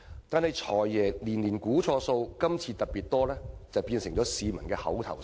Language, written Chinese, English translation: Cantonese, 但是，"'財爺'年年估錯數，今次特別多"變成了市民的口頭禪。, But over the years members of the public are getting used to the idea that the Financial Secretary always gets his estimates wrong and the only difference is by how much